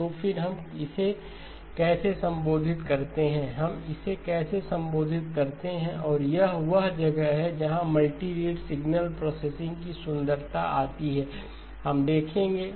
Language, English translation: Hindi, So then how do we address this, how do we address it, and this is where the sort of the beauty of multi rate signal processing comes in we will look at